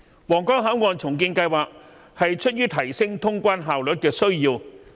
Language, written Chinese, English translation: Cantonese, 皇崗口岸重建計劃是出於提升通關效率的需要。, The Huanggang Port redevelopment project arises from the need to enhance cross - boundary efficiency